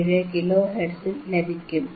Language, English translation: Malayalam, 477 kilo hertz